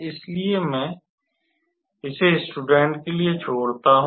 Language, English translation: Hindi, And therefore, I leave this one to the students to calculate